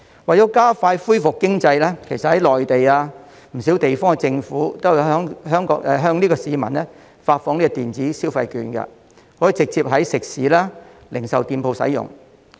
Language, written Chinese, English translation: Cantonese, 為了加快恢復經濟，其實在內地及不少地方政府都有向市民發放電子消費券，直接在食肆及零售店使用。, In fact the Mainland Government and many local governments have handed out digital shopping vouchers to expedite the recovery of their economy . People can directly use the vouchers in restaurants and retail shops